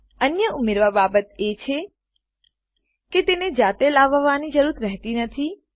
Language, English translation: Gujarati, Another thing to add is that, it does not need to be called on its own